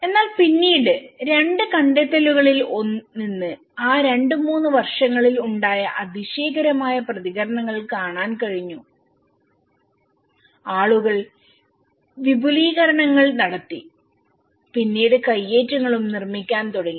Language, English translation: Malayalam, On but then, from the two findings which we could able to see a tremendous responses in those two three years, people started building extensions and then encroachments